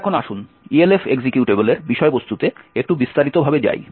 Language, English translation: Bengali, So now let us go a little more detail into the contents of the Elf executable